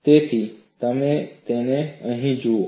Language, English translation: Gujarati, That is what you see here